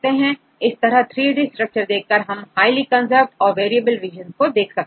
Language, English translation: Hindi, So, when you have these 3D structures then also you can see which regions are highly conserved and where are the variable regions